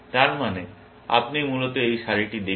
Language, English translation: Bengali, That means, you are looking at this row, essentially